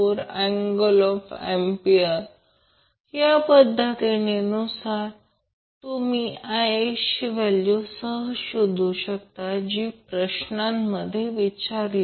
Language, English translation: Marathi, So with this method you can easily find out the value IX which was asked in the question